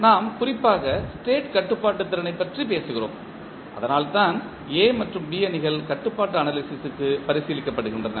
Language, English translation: Tamil, And we are particularly talking about the state controllability that is why A and B Matrices are being considered for the controllability analysis